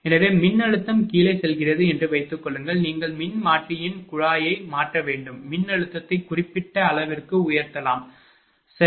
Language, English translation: Tamil, So, suppose voltage is going down you have to change the tap the transformer such that, voltage can be raised to certain level, right